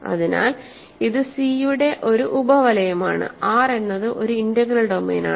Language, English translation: Malayalam, So, this is a sub ring of C so, R is an integral domain so, R is an integral domain